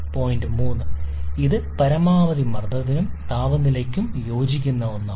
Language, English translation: Malayalam, Point 3, this is the one corresponds to maximum pressure and temperature